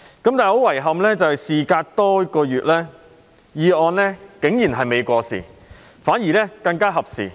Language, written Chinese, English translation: Cantonese, 不過，很遺憾，事隔多月後，議案竟然未過時，反而更為合時。, Yet regrettably after a lapse of many months the motion has become even more timely rather than outdated